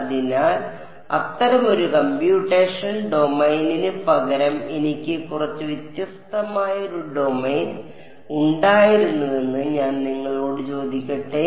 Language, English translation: Malayalam, So, let me ask you supposing instead of such a computational domain I had a bit of a slightly different domain